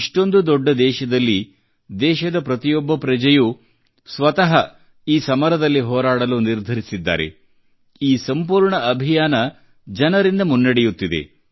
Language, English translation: Kannada, In a country as big as ours, everyone is determined to put up a fight; the entire campaign is people driven